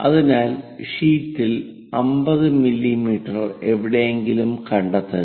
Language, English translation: Malayalam, So, on the sheet locate 50 mm somewhere here